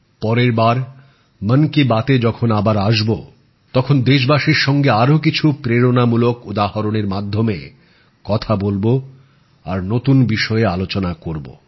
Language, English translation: Bengali, Next time when we meet in Mann Ki Baat, we will talk about many more inspiring examples of countrymen and discuss new topics